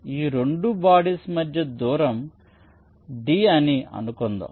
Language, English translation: Telugu, ok, let say the distance between these two bodies is d